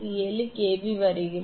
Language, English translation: Tamil, 7 is coming 47